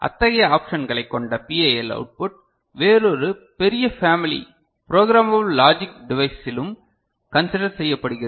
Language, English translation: Tamil, And PAL output with such options are also considered in a another you know larger family called programmable logic device ok